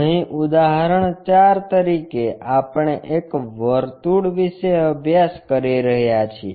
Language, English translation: Gujarati, Here, as an example 4, we are looking at a circle